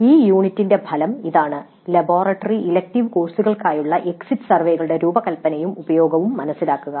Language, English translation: Malayalam, So the outcome for this unit is understand the design and use of exit surveys for laboratory and elective courses